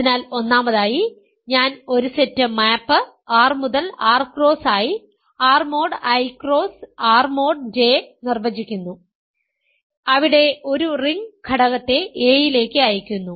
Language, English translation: Malayalam, So, first of all, I am defining a set map R to R cross I, R mod I cross R mod J where I send a ring element to a the residues of that ring element in R mod I and R mod J